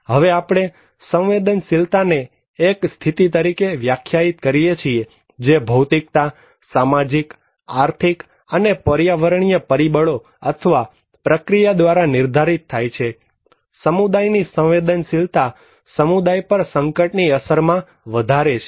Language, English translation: Gujarati, Now, we define vulnerability as the condition, that determined by physical, social, economic and environmental factors or process which increase the susceptibility of a community to the impact of hazard